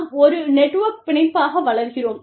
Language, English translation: Tamil, And, we grow as a network, as one unit